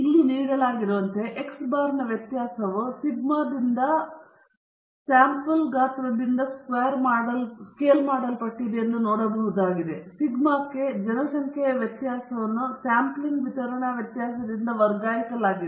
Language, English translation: Kannada, As given here, it can be seen that the variance of x bar is scaled down by the sample size from sigma squared the population variance to sigma squared by n the sampling distribution variance